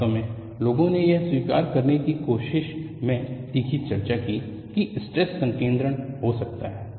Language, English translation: Hindi, There, in fact, people had acrimonious discussions in trying to accept that there could be stress concentration